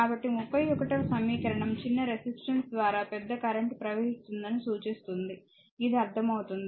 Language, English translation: Telugu, So, , right so, it indicates that to equation 31 indicate that the larger current flows through the smaller resistance is a understandable to you, right